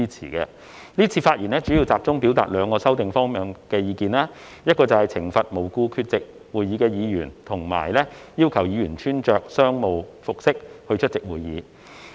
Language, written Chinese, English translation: Cantonese, 今次發言主要是集中表達兩個修訂方向的意見，包括懲罰無故缺席會議的議員及要求議員穿着商務服飾出席會議。, I speak mainly to express my views on two aspects of the amendments namely imposing penalties on Members absent from meetings without valid reasons and providing that Members shall dress in business attire when attending meetings